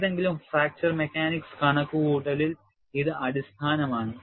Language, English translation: Malayalam, This is basic in any fracture mechanics calculation